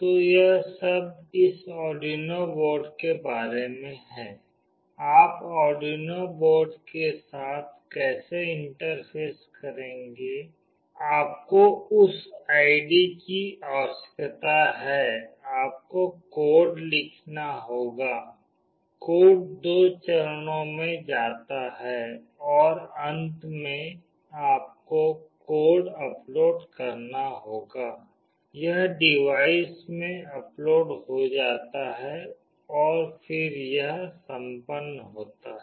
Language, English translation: Hindi, So, this is all about this Arduino board, how will you interface with Arduino board, you need that ID, you need to write the code, the code goes in 2 phases and finally, you have to upload the code, it gets uploaded into the device and then it is done